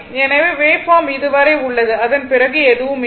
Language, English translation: Tamil, So, wave form is there up to this after that nothing is there then it is like this